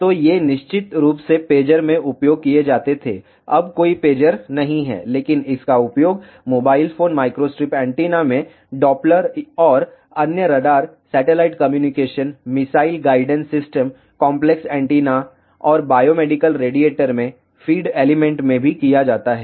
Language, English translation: Hindi, So, these were used in pagers of course, now days there are no pagers, but it has been used in mobile phones microstrip antennas find application in Doppler and other radars, satellite communication, missile guidance systems, feed element even in complex antennas and biomedical radiator